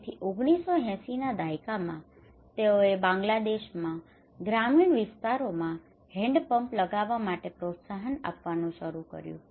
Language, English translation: Gujarati, So in 1980s they started to install hand pumps in rural areas in Bangladesh to promote